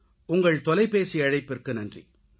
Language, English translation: Tamil, Thank you for your phone call